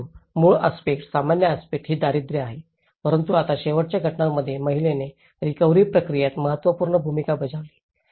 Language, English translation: Marathi, But the underlying aspect, common aspect is the poverty but now in the last cases here woman played an important role in the recovery process